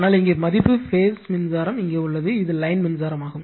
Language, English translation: Tamil, But, here the value here the phase current is here, and this is line current